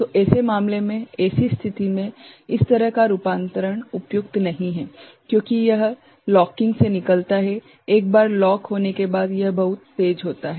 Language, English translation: Hindi, So, in such a case, in such situation, this kind of conversion is not suitable, because it comes out of the locking right, once it is locked it is very fast